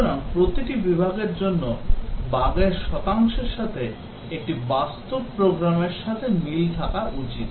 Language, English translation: Bengali, So, the percentage of bugs for each category of defect should match with what a real program has